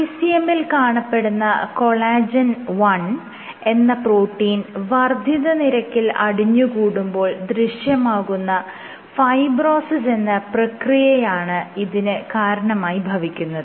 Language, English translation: Malayalam, So, this is driven in a process called fibrosis triggered by accumulation of ECM proteins and specially collagen 1